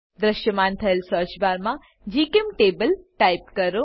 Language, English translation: Gujarati, In the search bar that appears type gchemtable